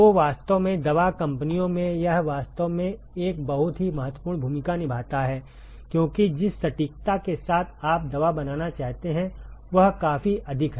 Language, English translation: Hindi, So, really in pharmaceutical companies it actually plays a very critical role, because the precision with which you want to make the drug is significantly higher